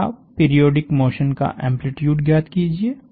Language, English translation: Hindi, First, find the amplitude of the periodic motion